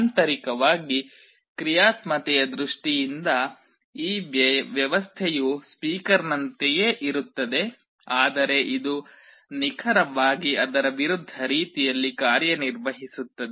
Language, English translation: Kannada, In terms of functionality internally the arrangement is very similar to that of a speaker, but it works in exactly the opposite mode